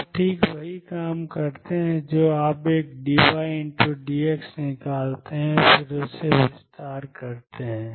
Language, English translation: Hindi, You do exactly the same thing you take one d y d x out and then expand this